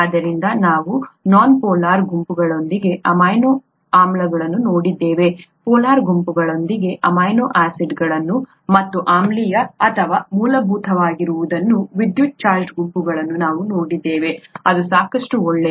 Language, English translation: Kannada, So we saw amino acids with nonpolar groups, we saw amino acids with polar groups, and electrically charged groups which could either be acidic or basic, thatÕs good enough